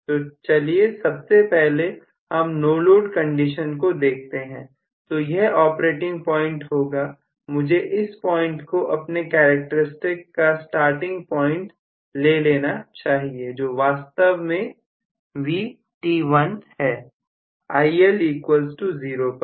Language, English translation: Hindi, So, let me look at first of all under no load condition, so this is the operating point, so let me take probably this as the starting point of my characteristics which is actually may be Vt1 at IL=0